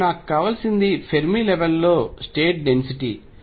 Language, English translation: Telugu, So, what I need is something called the density of states at the Fermi level